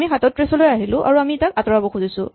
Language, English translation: Assamese, So, we come to 37 and we want to remove this